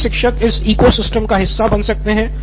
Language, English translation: Hindi, So all the teachers can also sort of plug into the ecosystem